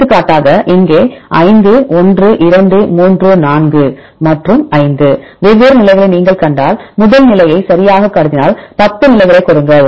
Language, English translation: Tamil, For example, here 5 sequences 1, 2, 3, 4 and 5, if you see the different positions right give 10 positions if we consider first position right